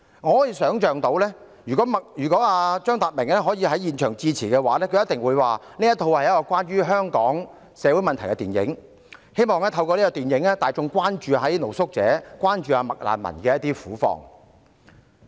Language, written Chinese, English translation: Cantonese, 我可以想象，如果張達明能在現場致辭，他一定會說，這是一齣關於香港社會問題的電影，希望透過這齣電影，大眾可以關注露宿者、"麥難民"的苦況。, I can imagine if CHEUNG Tat - ming could address the audience at the scene he would definitely say this is a film about the social problems in Hong Kong . It is hoped that through this film public attention can be drawn to the plight of street sleepers and McRefugees